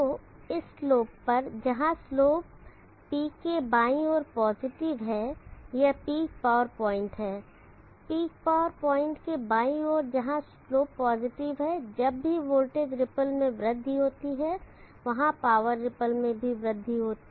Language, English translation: Hindi, So on this slope, where the slope is positive on the left side of the peak this is the peak power point on the left side of the peak power point where the slope is positive whenever there is an increase in the voltage ripple there will be an increase in power ripple too